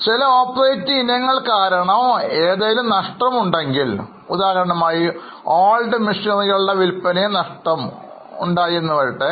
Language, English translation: Malayalam, If there is any loss due to some non operating item, let us say loss on sale of old machinery, then because it's a loss we will add it